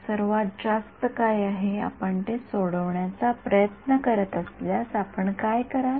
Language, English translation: Marathi, What is the most, what would you do if you are trying to solve it